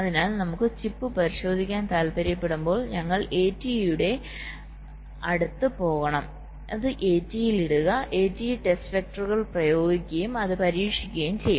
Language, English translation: Malayalam, so when you want to test the chip, we have to go near the a t e, put it on the a t e and a t e will be just applying the test vectors and test it